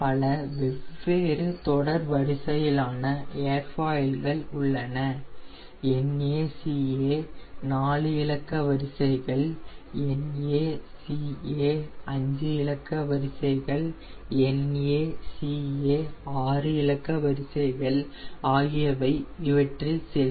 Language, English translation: Tamil, there are different series of airfoils and some of them are your naca four digit series, naca five digit series, naca six digit series